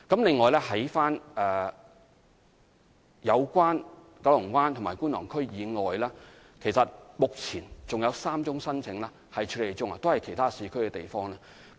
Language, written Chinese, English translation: Cantonese, 此外，在九龍灣及觀塘區以外，目前還有3宗申請正在處理中，涉及的都是其他市區的地方。, Besides other than applications concerning Kowloon Bay and Kwun Tong we are currently processing three applications for places in other districts